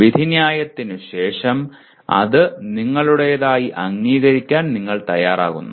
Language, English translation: Malayalam, After the judgment then it becomes you are willing to accept it as your own